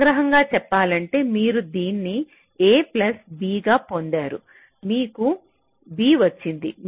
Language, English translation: Telugu, ok, so to summarize, you have got this as a plus b, you have got this b